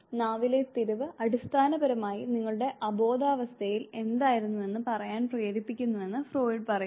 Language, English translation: Malayalam, Freud says that the twist of the tongue basically makes you say what was there in your preconscious state